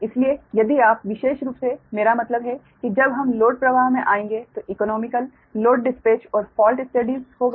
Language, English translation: Hindi, so if you, i mean, particularly when we will come, load flow, then economical, economical load dispatch and falls studies, right